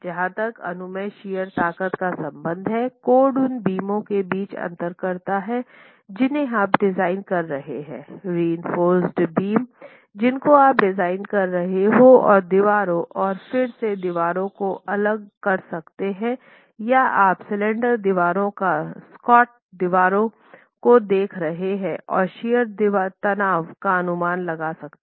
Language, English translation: Hindi, As far as permissible shear stresses are concerned, the code distinguishes between beams that you might be designing reinforced beams that you might be designing and walls and again distinguishes the walls based on whether you're looking at slender walls or squat walls and allows an estimate of the permissible shear stresses